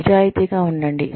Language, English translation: Telugu, Let us be honest